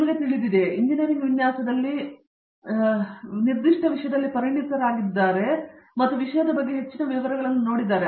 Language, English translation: Kannada, Is that you know they are now specialists, specialist in not just engineering design but they are specialist in particular topic in engineering design and have looked at the topic in great detail and so on